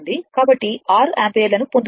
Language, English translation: Telugu, So, you are getting 6 ampere